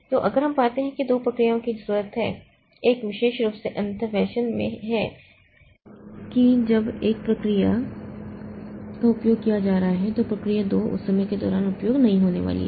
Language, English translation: Hindi, So, if we find that two procedures are needed in a mutually exclusive fashion, that is when procedure one is being used, procedure two is never going to be used during that time